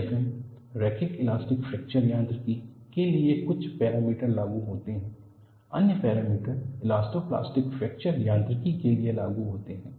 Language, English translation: Hindi, You know, certain parameters are applicable for LEFM, linear elastic fracture mechanics and the other parameters are applicable for elasto plastic fracture mechanics